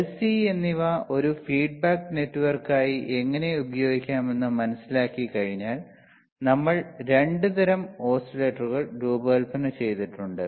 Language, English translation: Malayalam, Then once we understood how the L and C couldan be used as a feedback network, we have designed 2 types of oscillators,